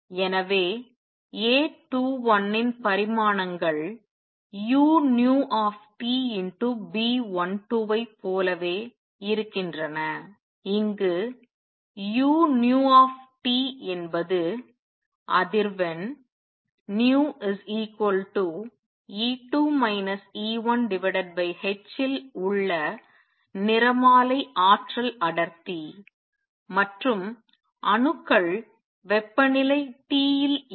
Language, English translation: Tamil, So, dimensions of A 21 are the same as u nu T B 12, where u nu T is the spectral energy density at frequency nu equals E 2 minus E 1 over h and the atoms are at temperature T